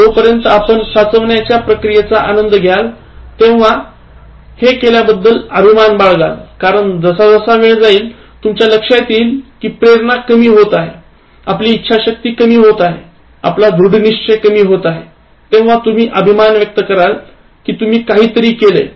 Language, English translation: Marathi, As long as you enjoy the process of accumulation and will be grateful you did, because as time goes by, you will realize that your motivation is getting reduced, your willpower is getting reduced, your determination is getting reduced, and you will be very grateful that actually you did something when you actually could